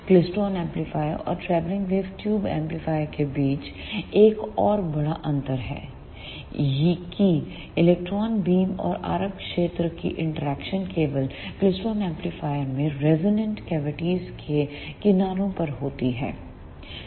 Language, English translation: Hindi, The one more major difference between klystron amplifier and travelling wave tube amplifier is that the interaction of electron beam and the RF field occurs only at the edges of resonant cavities in the klystron amplifier